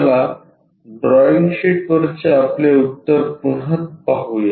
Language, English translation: Marathi, So, let us look at the solution on our drawing sheet